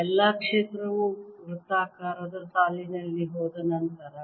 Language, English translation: Kannada, after all, field goes in a circular line